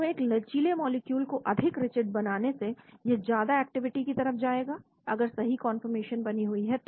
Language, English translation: Hindi, So making a flexible molecule more rigid, it will lead to enhanced activity, if the right conformation is maintained